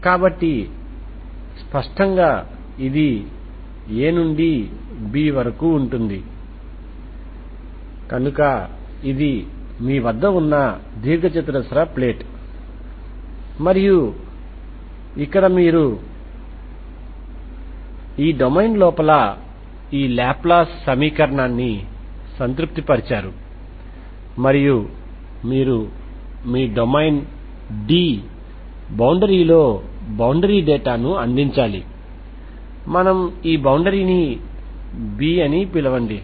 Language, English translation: Telugu, So obviously this will be a to b, so this is what is the rectangle plate you have and here you have this laplace equation satisfied here inside this domain and you have to provide there is no time so you have to provide the boundary data on this so you have to provide the boundary data on this okay on this boundary, this is your boundary so if this is your domain D, the boundary is this, boundary let us call this boundary B